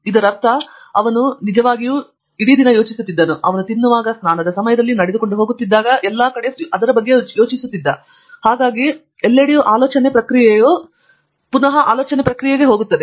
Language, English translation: Kannada, Which means, he was really thinking into it, may be thinking about it while he was eating, in his shower, where he was walking, running, everywhere so I think research that thinking process, the thought process that goes into it, is a never ending one